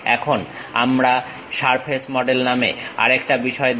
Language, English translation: Bengali, Now, we will look at other object name surface model